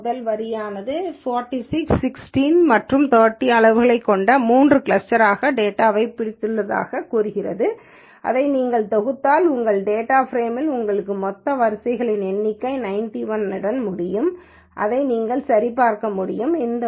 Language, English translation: Tamil, The first line essentially gives you it has clustered the data into three clusters which are of sizes 46, 15 and 30 and if you sum this up you will end up with your total number of rows in your data frame that is 91